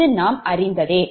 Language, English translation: Tamil, that we have seen